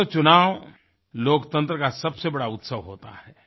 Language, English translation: Hindi, Friends, elections are the biggest celebration of democracy